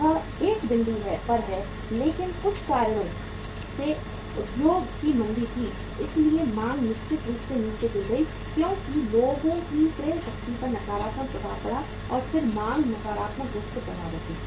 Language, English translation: Hindi, It it is at a point but because of certain reasons there was a industry recession so demand certainly fell down because of the negative impact upon the purchasing power of the people and then the demand was negatively affected